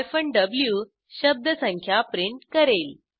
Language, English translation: Marathi, w will print the word count